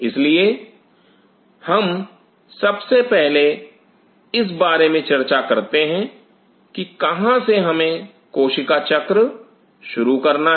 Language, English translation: Hindi, So, let us first of all talk about where we suppose to start is cell cycle